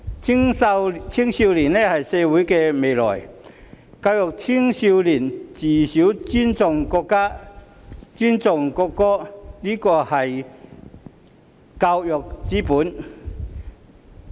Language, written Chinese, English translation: Cantonese, 青少年是社會的未來，教育青少年從小尊重國家、尊重國歌，這是教育之本。, Young people are the future of society . Educating young people to respect the country and the national anthem from an early age is the bedrock of education